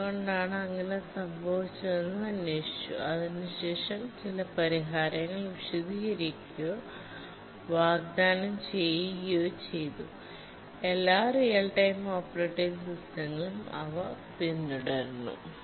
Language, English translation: Malayalam, We investigated why it was so and then we explained or offered some solutions for that which all real time operating systems, they do follow those